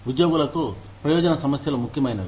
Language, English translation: Telugu, Benefit issues are important to employees